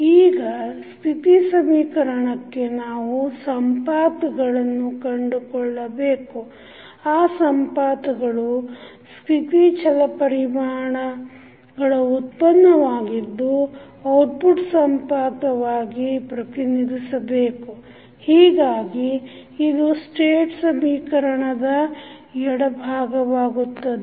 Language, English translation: Kannada, Now, for the state equation we find the nodes that represent the derivatives of the state variables as output nodes, so this will become the left side of the state equation